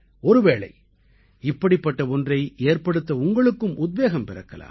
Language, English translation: Tamil, It is possible that you too get inspired to make something like that